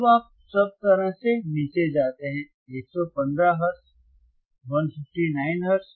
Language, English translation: Hindi, Now, you go down all the way to 115 159 Hertz, 159 Hertz